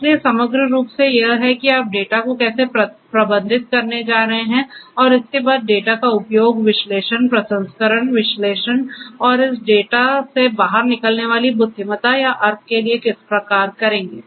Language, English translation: Hindi, So, putting everything together is how you are going to manage the data and thereafter use the data for analysis, processing, analysis and deriving intelligence or meaning out of this data